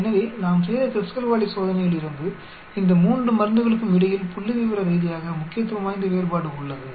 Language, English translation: Tamil, So, from the Kruskal Wallis test we concluded, there is a statistically significant difference between these 3 drugs